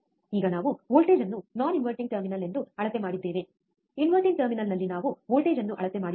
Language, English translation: Kannada, Now we have measured the voltage as non inverting terminal, we have measured the voltage at inverting terminal